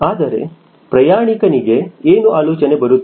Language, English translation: Kannada, but for a passenger, what comes to his mind the moment